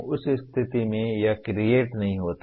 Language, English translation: Hindi, In that case it does not become create